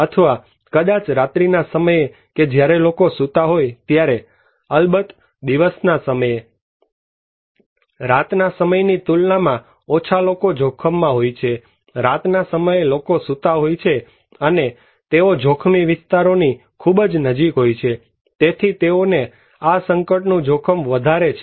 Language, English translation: Gujarati, Or maybe night time when people are sleeping so, at day time of course, we have less people are exposed to hazards compared to night time, at night time people are sleeping and which are very close to hazardous areas, so they are more exposed to these hazards